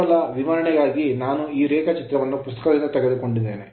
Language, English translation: Kannada, So, this is just for the sake of explanation I have taken this diagram from a book right